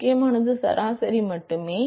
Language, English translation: Tamil, What is important is only the average